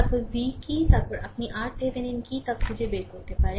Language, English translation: Bengali, Then find out what is V right and then, you can find out what is R Thevenin